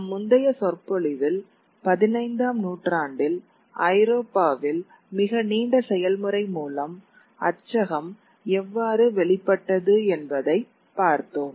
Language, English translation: Tamil, In our previous lecture we looked at how the printing press emerged through a very long dury process through in Europe in the 15th century